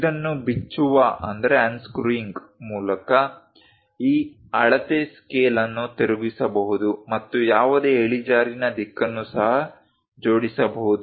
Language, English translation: Kannada, So, by unscrewing this, this measuring scale can be rotated and any incline direction also it can be assembled